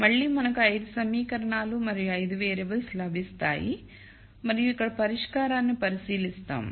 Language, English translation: Telugu, Again we will get 5 equations and 5 variables and we will look at the solution here